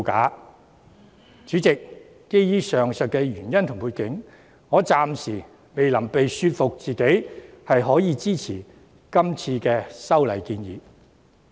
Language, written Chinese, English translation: Cantonese, 代理主席，基於上述原因和背景，我暫時未能說服自己支持今次的修訂建議。, Deputy President owing to the above mentioned reasons and background I still cannot convince myself to support the proposed amendments